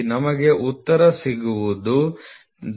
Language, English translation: Kannada, So, what we get the answer is 39